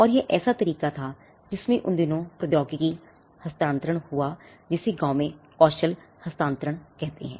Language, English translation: Hindi, And this was a way in which technology transfer or rather villages call it skill transfer happened in those days